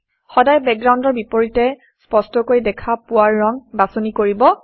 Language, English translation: Assamese, Always choose a color that is visible distinctly against its background